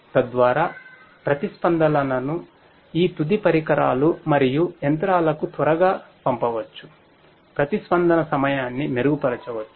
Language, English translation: Telugu, So, that the responses can be sent to these end equipment and machinery quickly so, the response time could be improved